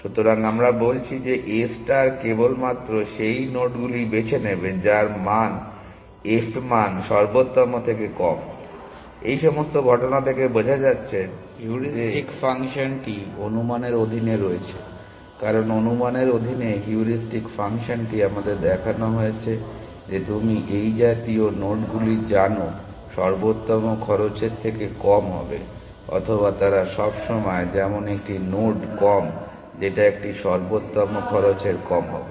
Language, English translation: Bengali, So, we are saying that a star will only pick nodes whose f value is less than the optimal, all this is coming from fact that the heuristic function is under estimating, because the heuristic function under estimates we are shown that you know nodes like this will always be less an optimal cost or they will always be such a node less an optimal cost